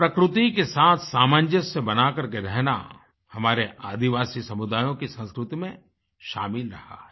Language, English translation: Hindi, To live in consonance and closed coordination with the nature has been an integral part of our tribal communities